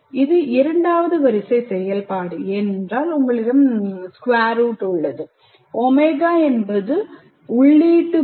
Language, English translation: Tamil, It is a kind of a second order function because you have the square root and omega is the input variable and k1 and k2 are two parameters